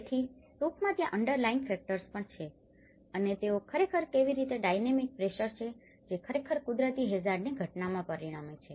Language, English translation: Gujarati, So, this is basically, there is also the underlying factors and how they actually the dynamic pressures which are actually creating with the natural hazard phenomenon